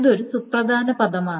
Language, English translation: Malayalam, This is an important term